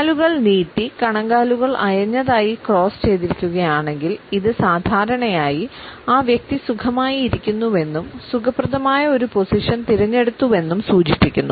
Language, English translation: Malayalam, If the legs are outstretched and the ankles are loosely crossed, it usually signals that the person is at ease and his opted for a comfortable position